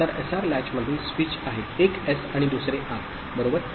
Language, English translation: Marathi, So, in the SR latch the switch is one is S and another is R, right